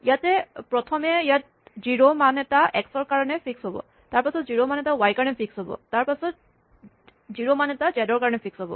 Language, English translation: Assamese, So, what happens here is that, first a value of 0 will be fixed for x, and then a value of 0 will be fixed for y, then 0 for z